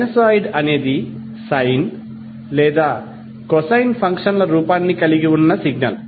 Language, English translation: Telugu, Sinosoid is a signal that has the form of sine or cosine functions